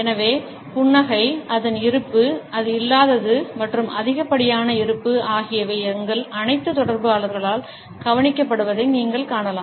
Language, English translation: Tamil, So, you would find that the smile, its presence, its absence, and too much presence are all noted by all our interactants